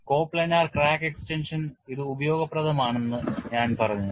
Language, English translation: Malayalam, This is valid only for coplanar crack extension